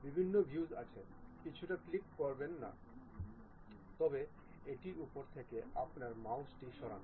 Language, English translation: Bengali, There are different views uh do not click anything, but just move your mouse onto that